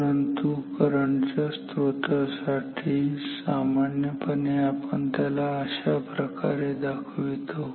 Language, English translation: Marathi, But, for current source we generally write it we draw it like this